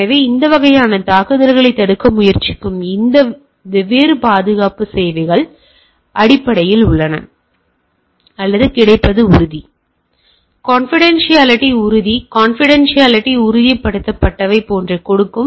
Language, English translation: Tamil, So, there are these are different security services which tries to prevent this type of attack, or give this type of things like availability ensured, confidentiality ensured, authenticity ensured, etcetera, etcetera